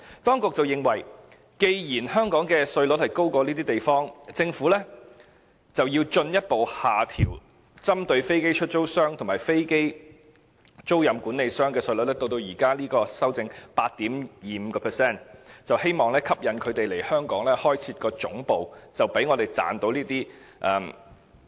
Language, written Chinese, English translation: Cantonese, 當局認為，既然香港的稅率比這些地方高，政府便要進一步下調針對飛機出租商和飛機租賃管理商的稅率，至目前修正案提出的 8.25%， 希望吸引他們來港開設總部，以賺取稅收。, In comparison Hong Kong is charging a higher tax rate . The authorities thus believe that the city should further reduce its tax rate to 8.25 % as proposed in the current amendment for aircraft lessors and aircraft leasing managers in a bid to attract them to establish their headquarters here to generate tax revenue